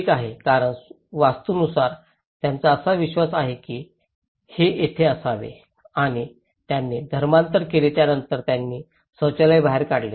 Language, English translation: Marathi, Okay, because according to Vastu, they believe that this should be here and they converted then they push the toilet outside